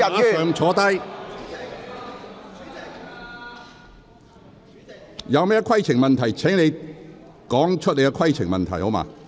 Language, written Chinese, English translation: Cantonese, 鄺議員，這並非規程問題，請你立即坐下。, Mr KWONG this is not a point of order . Please sit down immediately